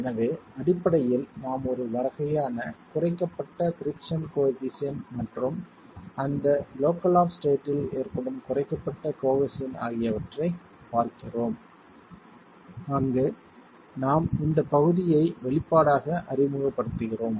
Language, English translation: Tamil, So basically we are looking at a sort of a reduced friction coefficient and a reduced cohesion that occurs in that local state itself where we are just introducing this part into the expression